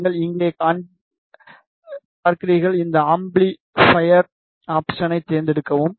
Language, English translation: Tamil, I will just show you here select this amplifier option select this option